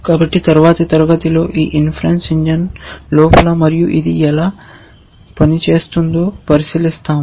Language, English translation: Telugu, So, in the next class we will look at inside this inference engine and how it works essentially